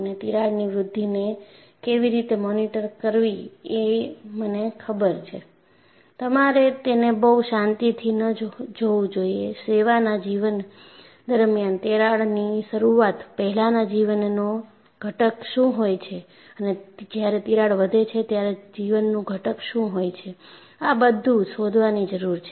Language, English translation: Gujarati, So, I know how to monitor the crack growth’; you should not be relaxed on that; you should find out, during the service life, what is the component of life before crack initiation and what is the component of life when the crack grows